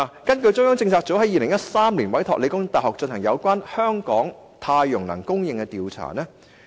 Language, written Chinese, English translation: Cantonese, 中央政策組在2013年委託香港理工大學進行有關香港太陽能供電的調查。, In 2013 the Central Policy Unit commissioned The Hong Kong Polytechnic University to conduct a study on power generation from solar energy in Hong Kong